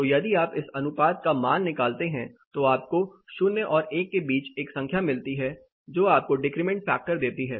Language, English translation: Hindi, So, if you take this ratio you get a number between 0 and 1 which gives you the decrement factor